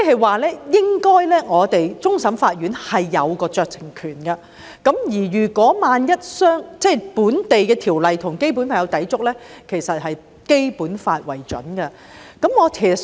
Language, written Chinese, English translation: Cantonese, 換言之，終審法院應該擁有酌情權，而一旦本地法例與《基本法》有所抵觸，其實是以《基本法》為準的。, In other words CFA should have discretion and if local legislation is in conflict with the Basic Law actually the Basic Law should prevail